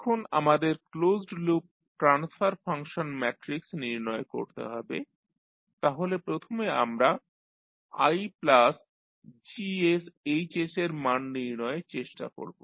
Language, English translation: Bengali, Now, we need to find the closed loop transfer function matrix so first we will try to find out the value of I plus Gs Hs